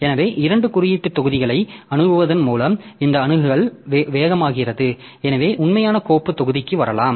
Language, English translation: Tamil, So, this way this access becomes faster because by accessing two index blocks so we can come to the actual file block